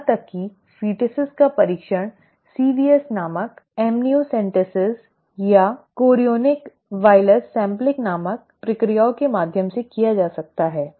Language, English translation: Hindi, Even foetuses can be tested through procedures called amniocentesis or chorionic villus sampling called CVS